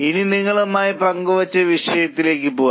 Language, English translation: Malayalam, Now let us go to the cases which have been shared with you